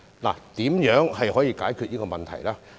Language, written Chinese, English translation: Cantonese, 那麼如何解決水浸問題呢？, How can we solve the flooding problem?